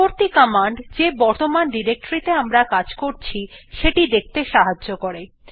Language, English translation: Bengali, The next command helps us to see the directory we are currently working in